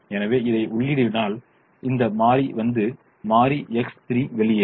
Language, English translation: Tamil, so if we enter this, then this variable will come in and variable x three will leave